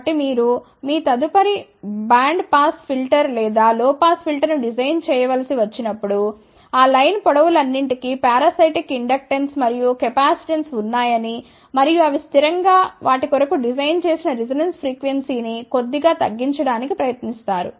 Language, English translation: Telugu, So, when you have to design your next band pass filter or low pass filter remember that you have to take some of these precautions, that all those line lengths do have parasitic inductance and capacitance and invariably, they try to reduce the designed resonance frequency slightly